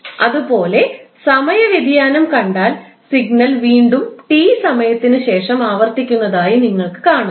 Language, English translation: Malayalam, Similarly if you see the time variation you will see that the signal is repeating again after the time T